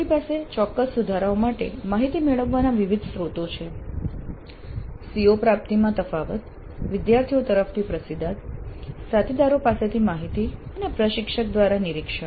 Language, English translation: Gujarati, So we have different sources of getting the data for specific improvements, CO attainment gaps, feedback from students, inputs from peers and observation by the instructor herself